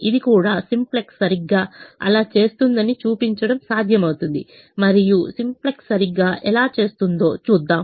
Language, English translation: Telugu, it's also possible to show that simplex does exactly that, and we will see how simplex does exactly that